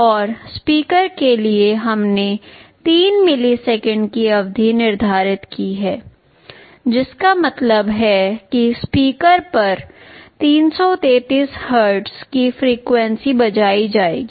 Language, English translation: Hindi, And for speaker we have set a period of 3 milliseconds that means 333 hertz of frequency will be played on the speaker